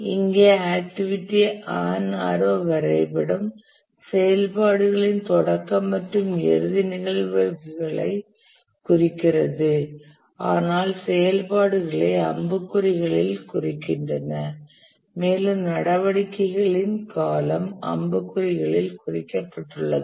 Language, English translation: Tamil, The activity on arrow diagram here the nodes indicate the start and end events of activities, but the activities themselves are marked on the arrows and also the duration of the activities are marked on the arrows